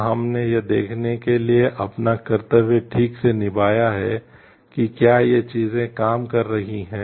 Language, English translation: Hindi, Have we done our duty properly to see whether these things are working